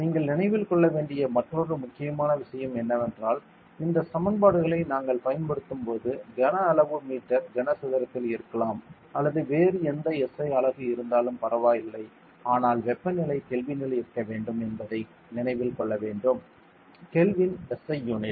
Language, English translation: Tamil, And one more important thing that you have to remember is when we use these equations you should remember that volume can be in meter cube or any other SI unit does not matter, but the temperature should be in Kelvin; Kelvin is the SI unit of everything should be in a standard unit ok